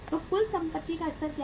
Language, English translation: Hindi, So what is the level of total assets